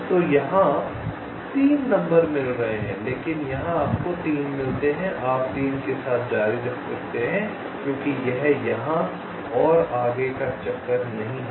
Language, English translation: Hindi, so here, detour number three, you are getting, but here, as you get three, you can continue with three because this is no further detour here